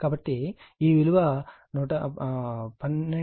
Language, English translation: Telugu, So, this is not 12